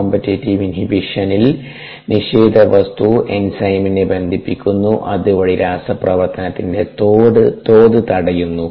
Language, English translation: Malayalam, in the competitive inhibition, the inhibitor binds the enzyme and there by inhibits the rate of the reaction